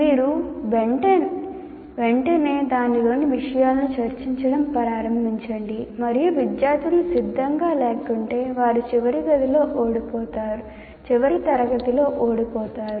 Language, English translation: Telugu, You straight away start discussing the contents of that and if the students are not prepared they lose out in the final grade